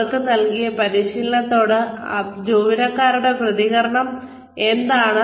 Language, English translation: Malayalam, What is the reaction of the employees, to the training, that has been given to them